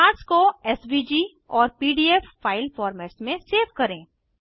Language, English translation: Hindi, Save the charts in SVG and PDF file formats